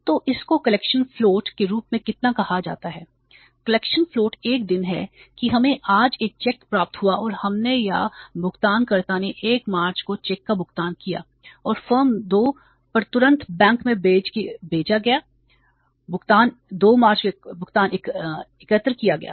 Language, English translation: Hindi, So collection float is one day that we received a check today and we or the payer paid the check on 1st March and the firm sent it to the bank immediately on the 2nd March payment was collected